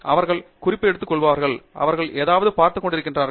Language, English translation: Tamil, They keep taking notes, they keep looking at something